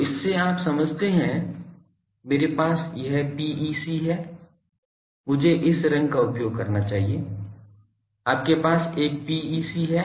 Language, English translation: Hindi, So, what you do to understand these understand that; I have this PEC sorry, I should have used this colour you have a PEC